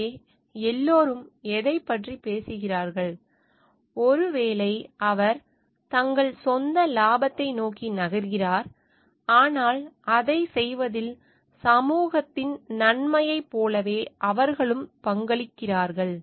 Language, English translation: Tamil, So, what it talks of like everybody maybe he is moving towards their own gain, but in doing that, they also contribute towards like the benefit of the society at large